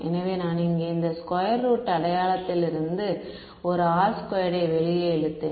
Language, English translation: Tamil, So, I pulled out a R from this square root sign over here all right